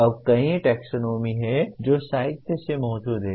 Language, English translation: Hindi, Now there are several taxonomies that exist in the literature